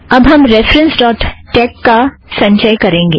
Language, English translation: Hindi, Now we compile references.tex